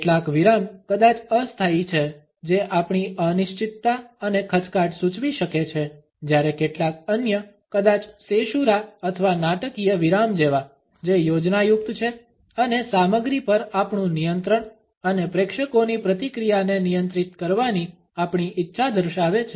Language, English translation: Gujarati, Some pauses maybe temporary which may indicate our uncertainty and hesitation, whereas some other, maybe like caesura or the dramatic pauses, which are planned and show our control of the content and our desire to control the audience reaction